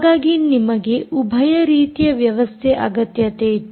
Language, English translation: Kannada, therefore you needed dual mode systems